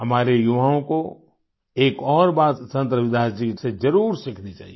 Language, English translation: Hindi, Our youth must learn one more thing from Sant Ravidas ji